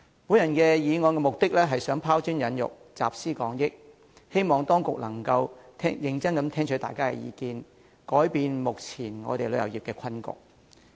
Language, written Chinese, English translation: Cantonese, 我動議議案目的是拋磚引玉、集思廣益，希望當局能夠認真聽取大家的意見，紓解旅遊業目前的困局。, I hope that the authorities can seriously listen to Members views and alleviate the current predicament of the tourism industry